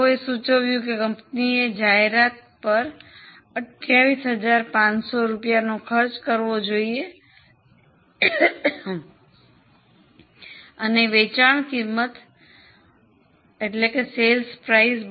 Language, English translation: Gujarati, Now they suggest that company should spend 28,500 on advertising and put the sale price up to 32